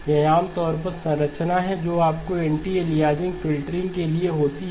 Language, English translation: Hindi, This is typically the structure that you would have for anti aliasing filtering